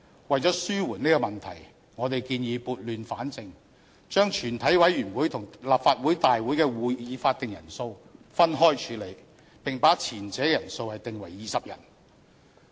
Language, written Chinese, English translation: Cantonese, 為了紓緩這個問題，我們建議撥亂反正，將全體委員會與立法會大會的會議法定人數分開處理，並把前者的人數訂為20人。, To address this problem we suggest to set things right and that separate arrangements be adopted for meetings of the committee of the whole Council and meetings of this Council with the quorum for the former be set at 20 Members